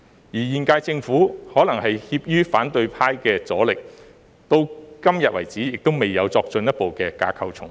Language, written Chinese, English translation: Cantonese, 現屆政府可能怯於反對派的阻力，至今未有作進一步的架構重組。, The incumbent Government perhaps deterred by the forces of the opposition camp has still not taken a further step in structure reorganization